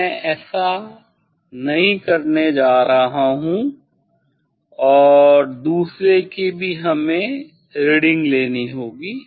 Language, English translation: Hindi, I am not going to do that and also other one we have to take reading